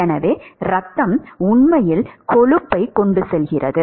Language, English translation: Tamil, So, the blood actually carries cholesterol